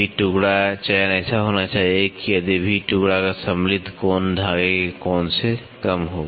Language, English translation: Hindi, The selection of V pieces should be such that if the included angle of the V piece is less than the angle of the thread